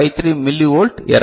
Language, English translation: Tamil, 53 millivolt error